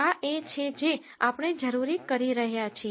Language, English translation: Gujarati, This is what we are essentially doing